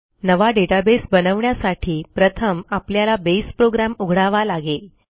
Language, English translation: Marathi, To create a new Database, let us first open the Base program